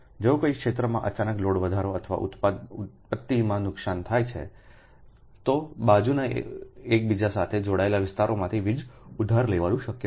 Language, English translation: Gujarati, now, if there is a sudden increase in load or loss of generation in one area, it is possible to borrow power from adjoining interconnected area